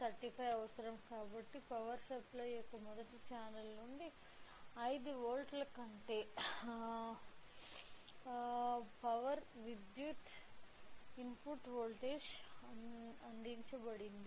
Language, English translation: Telugu, Since LM35 required some power input voltage that 5 volts has been provided from the first channel of power supply